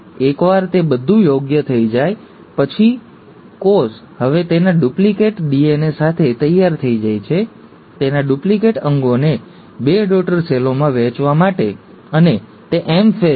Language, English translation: Gujarati, Once that is all proper, the cell is now ready with its duplicated DNA, its duplicated organelles to be divided into two daughter cells, and that is the M phase